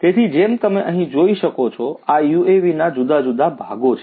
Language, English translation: Gujarati, So, as you can see over here, this UAV has different parts